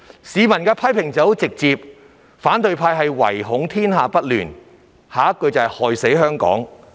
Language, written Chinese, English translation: Cantonese, 市民對他們的批評直截了當："反對派唯恐天下不亂，害死香港"！, The publics comment on them is rather straightforward Wishing to see the whole world in chaos the opposition camp is killing Hong Kong!